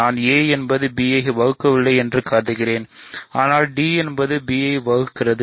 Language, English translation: Tamil, I am I am assuming that a does not divide b, but d divides b